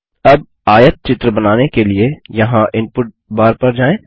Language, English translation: Hindi, Now to create the histogram , go to the input bar here